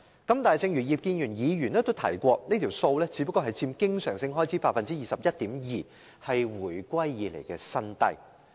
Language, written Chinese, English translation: Cantonese, 但是，正如葉建源議員剛才所說，這數字只佔經常開支 21.2%， 是自回歸以來的新低。, But as Mr IP Kin - yuen said just now this sum merely accounts for 21.2 % of the total recurrent expenditure a record - low since the reunification